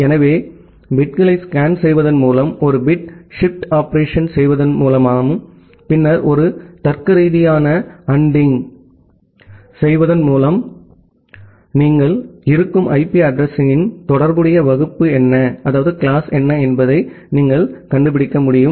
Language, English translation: Tamil, So that way just by scanning the bits, so doing a bit shift operation, and then doing a logical ANDing you will be able to find out that what is the corresponding class of IP address that you are being used